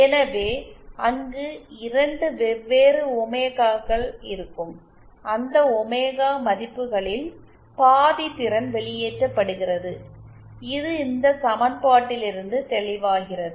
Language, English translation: Tamil, So, there we will have 2 different omegas for which half power is dissipated, that is also obvious from this equation